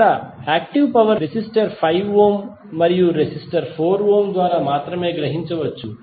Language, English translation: Telugu, Here the active power can only be absorbed by the resistor 5 ohm and the resistor 4 ohm